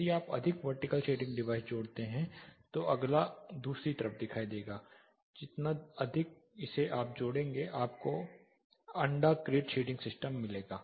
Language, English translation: Hindi, If you add more vertical shading devices the next will appear on the other side, the more you add it will give you an (Refer Time: 22:32) egg crate shading system